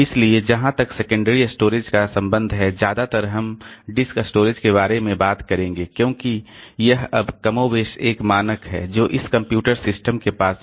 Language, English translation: Hindi, So, as far as the secondary storage is concerned, so mostly we'll be talking about disk storage because that is now more or less the standard one that this computer systems have